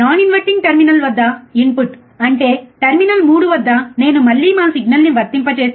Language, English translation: Telugu, The input at non inverting terminal; that means, at terminal 3 if I again apply our signal, right